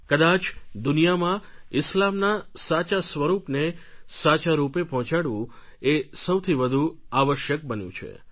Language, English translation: Gujarati, I think it has become imperative to present Islam in its true form to the world